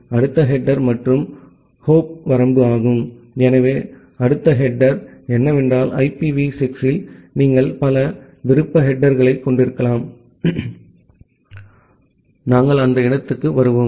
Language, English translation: Tamil, The next header and the hop limit; so the next header is that in IPv6 you can have multiple optional headers, we will come to that point